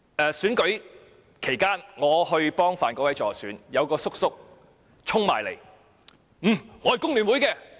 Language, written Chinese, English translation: Cantonese, 在選舉期間，當我為范國威議員助選時，有一名叔叔衝過來說："我是工聯會的。, During the elections while I was campaigning for Mr Gary FAN a man somewhat older than me rushed towards me and said I am from FTU